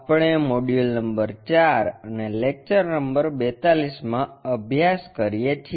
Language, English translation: Gujarati, We are covering module number 4 and lecture number 42